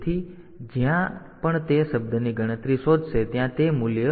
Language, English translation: Gujarati, So, wherever it finds the word count it will replace by the value 30 there